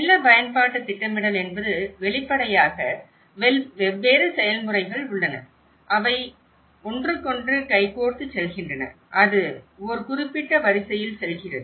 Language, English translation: Tamil, When we say land use planning means obviously, there are different processes, that goes hand in hand to each other and it goes in a particular sequence